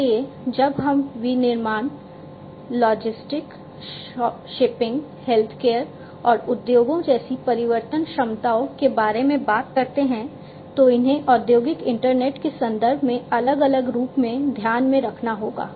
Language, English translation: Hindi, So, when we talk about transformation capabilities such as manufacturing, logistics, shipping, healthcare and industries these will have to be taken in the into consideration differentially, differently in the context of industrial internet